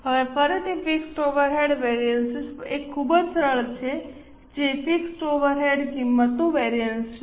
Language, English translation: Gujarati, Now, fixed overhead variances again, first one is very simple, that is fixed overhead cost variance